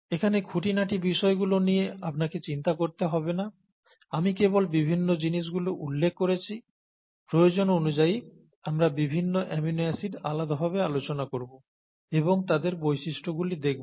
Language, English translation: Bengali, You donÕt have to worry about the details here, I just mentioned the various things, as and when necessary, we can look at individual amino acids depending on our need, and a look at their properties